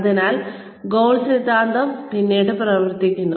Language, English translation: Malayalam, So, the goal theory, then comes into play